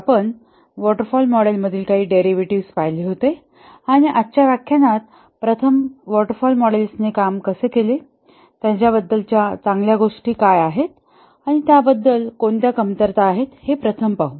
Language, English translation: Marathi, We had looked at some of the derivatives from the waterfall model and in today's lecture we will first see how the waterfall models have done what are the good things about them and what were the shortcomings about them